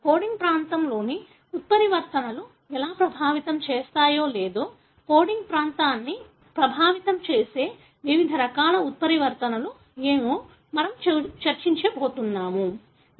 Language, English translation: Telugu, We are going to discuss how mutations in the coding region affect or what are the different types of mutations that may affect the coding region